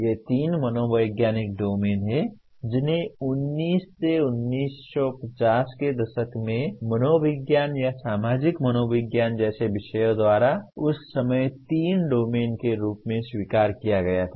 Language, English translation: Hindi, These are the three psychological domains which were fairly accepted as three domains at that time by disciplines like psychology or social psychology in 19 by 1950s